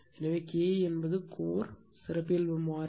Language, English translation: Tamil, So, K e is the characteristic constant of the core right